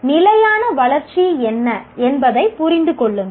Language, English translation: Tamil, Understand what sustainable growth is